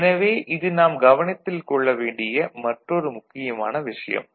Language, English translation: Tamil, So, that is another important point that we take note of